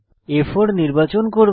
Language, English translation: Bengali, I will select A4